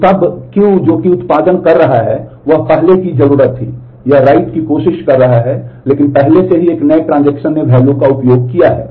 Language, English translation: Hindi, So, then the value Q that T i is producing was needed earlier, it is trying to write, but already a newer transaction has used the value